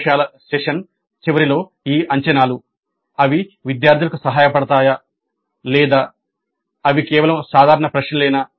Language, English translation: Telugu, Now these assessments at the end of a laboratory session were they helpful to the students or were they just mere routine questions